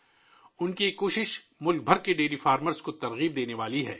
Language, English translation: Urdu, This effort of his is going to inspire dairy farmers across the country